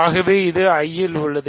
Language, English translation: Tamil, So, this is in I prime